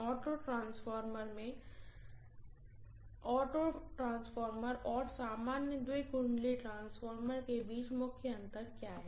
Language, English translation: Hindi, In the auto transformer what is the major difference between an auto transformer and the normal two winding transformer